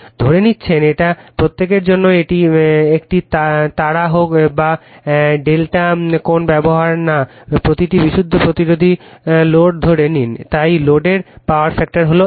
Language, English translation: Bengali, And we are also we are assuming it is a for each whether it is a star or delta does not matter, we assume a pure resistive load, so power factor of the load is unity right